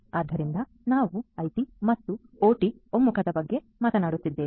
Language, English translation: Kannada, So, we are talking about IT and OT convergence right